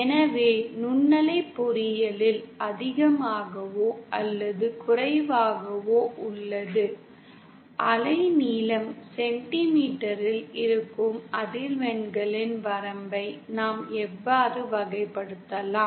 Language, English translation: Tamil, So microwave engineering is more or less this is how we can classify that those range of frequencies for which wavelength remains in centimetre